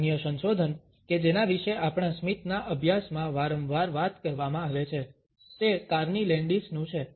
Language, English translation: Gujarati, Another research which is often talked about in our studies of a smile is by Carney Landis